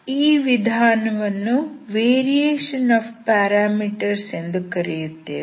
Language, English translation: Kannada, This is a method of variation of parameters